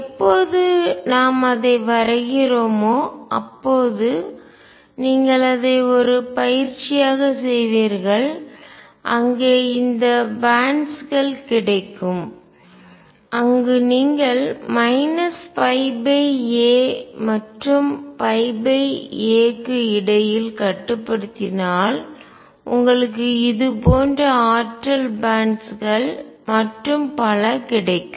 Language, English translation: Tamil, And when we plot it which you will do as a practice where you get these bands are if you restrict between, minus pi by a and pi by a you get energy bands like this and so on